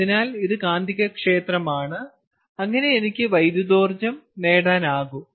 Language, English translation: Malayalam, so this is magnetic field and i am able to get electrical energy right